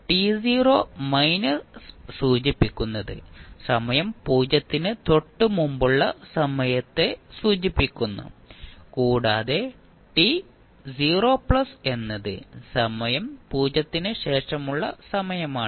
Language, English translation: Malayalam, So, t 0 minus denotes the time just before time t is equal to 0 and t 0 plus is the time just after t is equal to 0